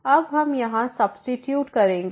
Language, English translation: Hindi, Now we will substitute here